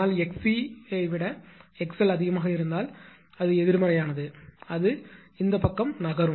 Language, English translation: Tamil, But if x l greater than x c then it is negative; it will move to this side